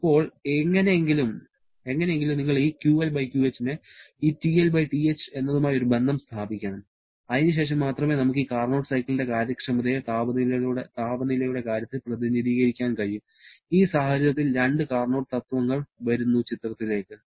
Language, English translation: Malayalam, Now, somehow you have to establish a relation between this QL/QH to this TL/TH and then only we can represent the efficiency of this Carnot cycle in terms of temperatures only and in this context, couple of Carnot principles comes into picture